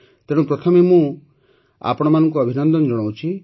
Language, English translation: Odia, So first of all I congratulate you heartily